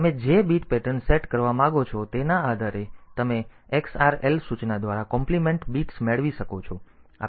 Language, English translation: Gujarati, So, depending upon the bit pattern you want to set similarly you can have compliment bits by the xrl instruction